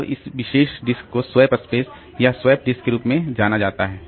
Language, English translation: Hindi, Now, this particular disk is known as the swap space or swap disk